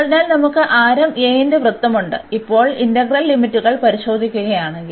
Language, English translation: Malayalam, So, we have the circle of radius a and now if we look at the integral limits